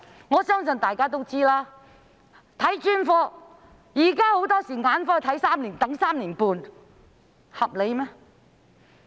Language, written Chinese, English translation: Cantonese, 我相信大家都知道，現時眼科要等候 3.5 年，合理嗎？, I believe Members all know that one needs to wait 3.5 years for ophthalmology services . Is this reasonable?